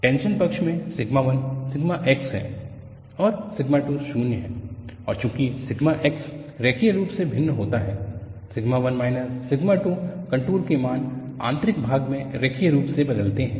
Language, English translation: Hindi, In the tension side, sigma 1 is sigma x and sigma 2 is 0, and since sigma x varies linearly, sigma 1 minus sigma 2 contour value has to vary linearly over the depth